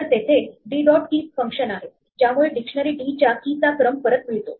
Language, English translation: Marathi, So, there is a function d dot keys which returns a sequence of keys of a dictionary d